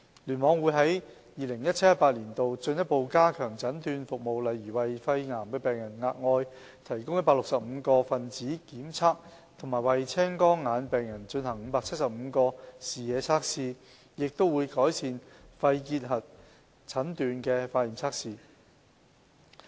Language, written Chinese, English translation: Cantonese, 聯網會於 2017-2018 年度進一步加強診斷服務，例如為肺癌病人額外提供165個分子檢測和為青光眼病人進行575個視野測試，亦會改善肺結核診斷的化驗測試。, KEC will further enhance diagnostic services in 2017 - 2018 by for instance providing 165 additional molecular tests for lung cancer patients and performing 575 visual field tests for glaucoma patients . Moreover laboratory testing for the diagnosis of Tuberculosis will be enhanced